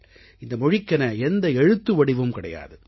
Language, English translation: Tamil, This language does not have a script